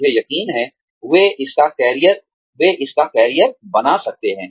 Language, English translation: Hindi, I am sure, they could make a career, out of it